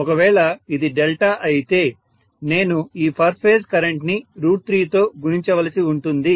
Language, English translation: Telugu, If it is delta of course I have to multiply the per phase current by root three, right